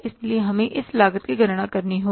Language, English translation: Hindi, So we will have to calculate this cost